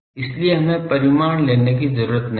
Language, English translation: Hindi, So, we need to take the magnitude